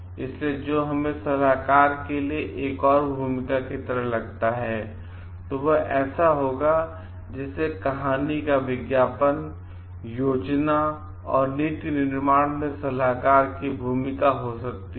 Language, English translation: Hindi, So, what we find like the another role for the consultant would be like that of advertise sorry, advice another role could be advisors in planning and policy making